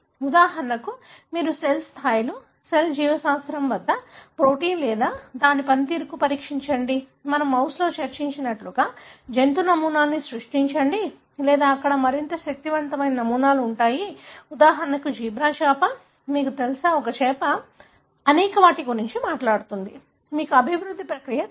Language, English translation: Telugu, For example, you test the protein or its function at the cell levels, cell biology, create animal models like we discussed in mouse or there are more powerful models that are there; for example, zebra fish, you know, a fish, right, that talks about many of the, you know developmental process